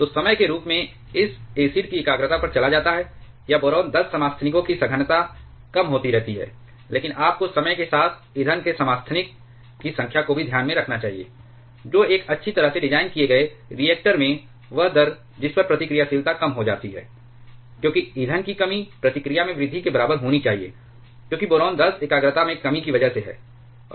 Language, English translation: Hindi, So, as time goes on the concentration of this acid, or concentration of boron 10 isotopes that keeps on reducing, but the you should also take into account with time the number of fuel isotope that also keeps on reducing, in a properly designed reactor the rate at which reactivity decreases because of the depletion of fuel should be nearly equal to the increase in reactivity because of the reduction in boron 10 concentration